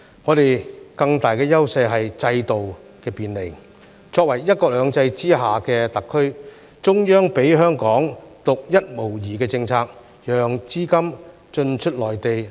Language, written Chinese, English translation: Cantonese, 我們更大的優勢是制度的便利，作為"一國兩制"之下的特區，中央給予香港獨一無二的政策，讓資金進出內地。, We enjoy a greater advantage from facilitation in the system . The Central Authorities have granted Hong Kong a Special Administrative Region under the principle of one country two systems a unique policy allowing capital to flow in and out of the Mainland through Hong Kong